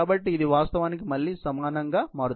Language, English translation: Telugu, So, this actually becomes equal to again 1 0 1